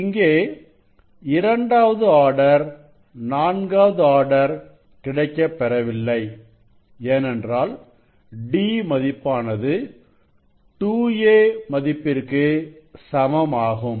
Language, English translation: Tamil, here you can see that this is for 2nd order missing, 4th order missing means d equal to 2 a